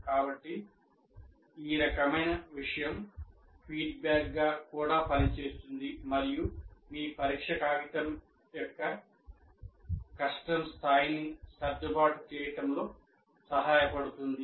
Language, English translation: Telugu, So this kind of thing is also acts as a feedback to adjust the difficulty level of your test paper to the students that you have